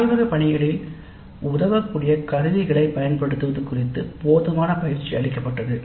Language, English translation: Tamil, Adequate training was provided on the use of tools helpful in the laboratory work